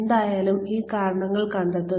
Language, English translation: Malayalam, Anyway, so find out these reasons